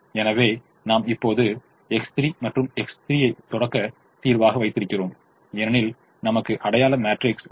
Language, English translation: Tamil, so we now keep x three and x four as the starting solution because i have the identity matrix